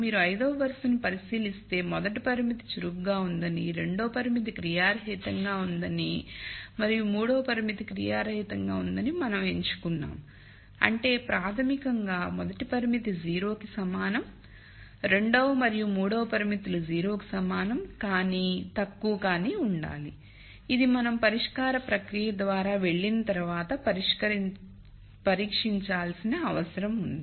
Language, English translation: Telugu, So, if you look at row 5, we have made a choice that the rst constraint is active, the second constraint is inactive and the third constraint is inactive, that basically means the first constraint is equal to 0, the second and third constraints have to be less than equal to 0, which needs to be tested after we go through the solution process